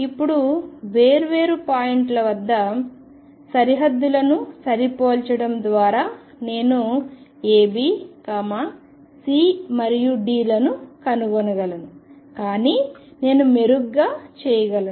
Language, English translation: Telugu, Now by matching the boundaries at different points I can find A B C and D, but I can do better